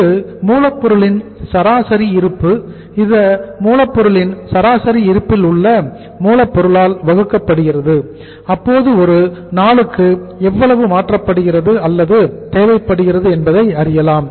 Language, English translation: Tamil, That is average stock of raw material, average stock of raw material divided by raw material average raw material converted or committed per day